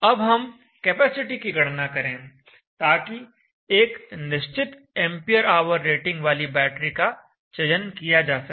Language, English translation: Hindi, Next let us calculate the capacity of that is required, so that you may chose a battery of a particular ampere rating